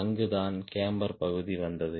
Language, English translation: Tamil, that is where the camber part came